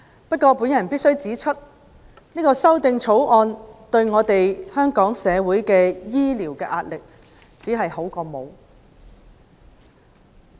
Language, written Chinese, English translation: Cantonese, 不過，我必須指出，《條例草案》對紓緩香港的醫療壓力，只是聊勝於無。, Yet I must say that the Bill will have minimal effect in relieving the health care pressure on Hong Kong